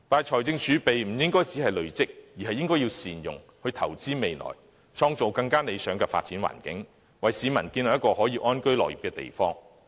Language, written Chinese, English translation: Cantonese, 可是，我們不應只是累積財政儲備，而應該善用儲備，投資未來，創造更加理想的發展環境，為市民建立一個可以安居樂業的地方。, Nevertheless we should not only amass fiscal reserves . We should instead make good use of them to invest into the future create better climate for development and foster a place for people to live and work contentedly